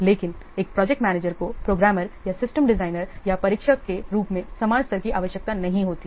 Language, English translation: Hindi, But project manager, it does not require the same level of scheduling as a programmer or a system designer or a tester